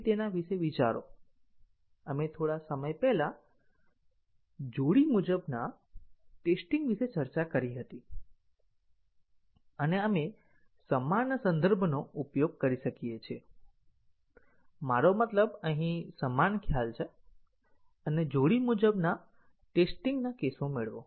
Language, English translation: Gujarati, So, please think about it, we had discussed about pair wise testing some time back and we can use the same context, I mean same concept here and derive the pair wise test cases